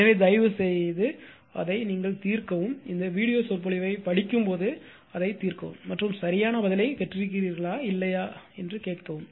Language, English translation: Tamil, So, you please solve it answers I am not telling you solve it, when you read this video lecture you solve it and you are what you call and at the time you ask the answer whether you have got the correct answer or not will